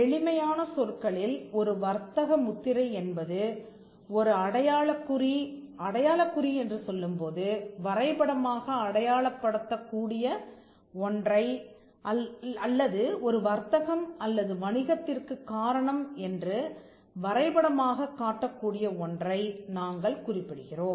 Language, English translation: Tamil, Now, this is the definition of the trademark “A trademark in simple terms is a mark and when we say a mark we refer to something that can be graphically symbolized or something which can be shown graphically which is attributed to a trade or a business”